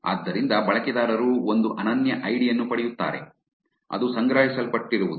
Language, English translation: Kannada, So, the users get one unique id which is what was collected